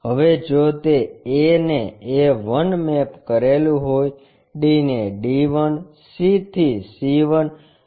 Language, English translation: Gujarati, Now, a if it is mapped to a 1, d mapped to d 1, c to c 1, b to b 1